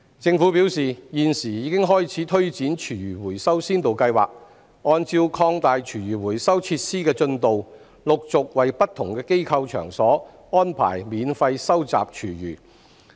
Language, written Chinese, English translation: Cantonese, 政府表示，現時已經開始推展廚餘回收先導計劃，按照擴大廚餘回收設施的進度，陸續為不同機構場所安排免費收集廚餘。, The Government has advised that it has now launched a food waste recycling pilot scheme to arrange free collection of food waste for different establishments progressively according to the progress of the expansion of food waste recycling facilities